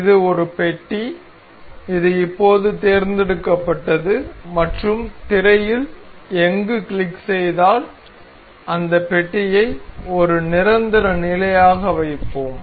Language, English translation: Tamil, This is a block, this is now selected and clicking anywhere on the screen we will place this block as a permanent position